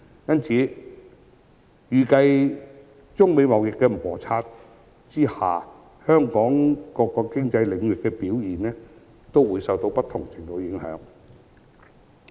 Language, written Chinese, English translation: Cantonese, 因此，預計在中美貿易摩擦下，香港各個經濟領域的表現也會受到不同程度的影響。, Hence it is estimated that Hong Kongs various economic sectors will be battered in varying degrees amidst the United States - China trade conflict